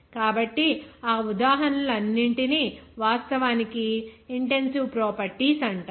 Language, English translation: Telugu, So, all those examples are actually called intensive properties